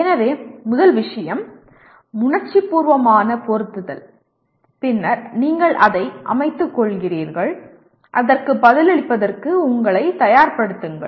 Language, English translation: Tamil, So first thing is emotive implanting and then you are setting, readying yourself for responding to that